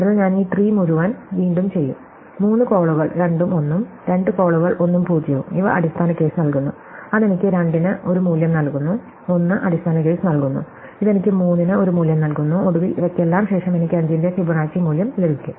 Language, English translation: Malayalam, So, I will do this whole tree again, 3 calls 2 and 1, 2 calls 1 and 0, these return the base case, that give me a value for 2, 1 returns the base case, this give me a value for 3 and finally, after all this, I get the value of Fibonacci as 5